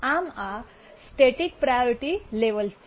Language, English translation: Gujarati, So, these are static priority levels